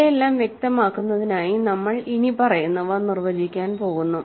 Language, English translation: Malayalam, So, in order to clarify all these things we are going to define the following